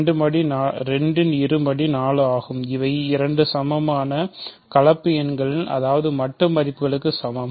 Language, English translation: Tamil, So, 2 squared is 4, these are 2 equal complex numbers that means, absolute values are equal